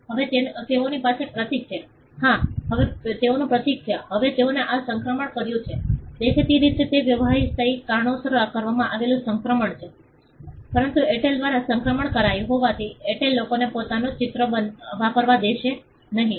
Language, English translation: Gujarati, Now, they have a symbol yeah, now they have a symbol now they made this transition; obviously, it was a transition done for business reasons, but just because Airtel made the transition, Airtel will not allow people to use its own mark